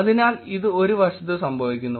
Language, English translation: Malayalam, So, that is happening on one side